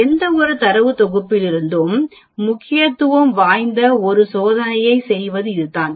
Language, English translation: Tamil, This is how you go about doing a test of significance for any data set